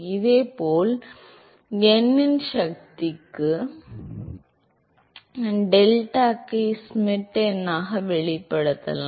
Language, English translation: Tamil, Similarly, one could express deltac as Schmidt number to the power of n